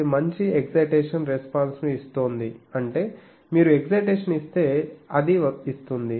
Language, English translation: Telugu, It is giving a good impulse response that means if you give an impulse, it gives